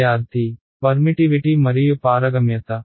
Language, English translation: Telugu, Permittivity and permeability